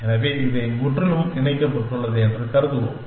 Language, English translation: Tamil, So, we will assume that, this is completely connected